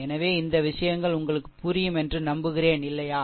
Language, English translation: Tamil, So, I hope this things is understandable to you, right